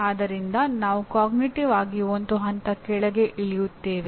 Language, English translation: Kannada, So we go cognitively one level lower